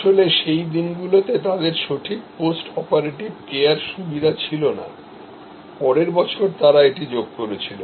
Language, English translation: Bengali, They actually in those days did not have proper post operative care facilities, next year they added that